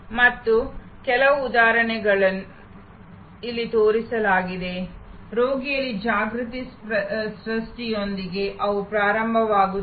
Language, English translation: Kannada, And some of the examples are shown here, the use they start with awareness creation among patients